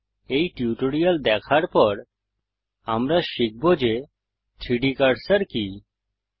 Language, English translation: Bengali, After watching this tutorial, we shall learn what is 3D cursor